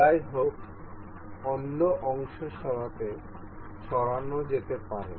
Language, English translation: Bengali, However the other parts can be moved